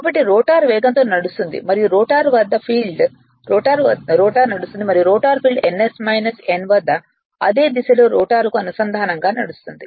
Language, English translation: Telugu, Since the rotor is running at a speed n and the rotor field at ns minus n right with respect to the rotor in the same direction